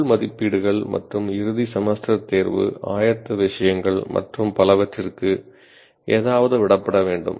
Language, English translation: Tamil, Something will have to be left for internal valuations and end semester exam, preparatory things and so on and on